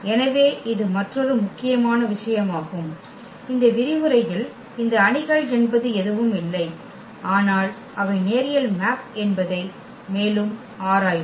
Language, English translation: Tamil, So, this is another important point which we will be exploring further in this lecture that this matrices are nothing but they are linear map